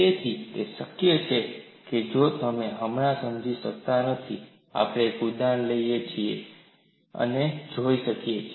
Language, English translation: Gujarati, So, it is possible, although you may not understand right now, we can take up an example and see